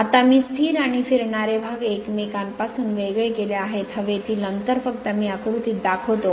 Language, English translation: Marathi, Now, the stationary and rotating parts are separated from each other by an air gap just I show in the diagram right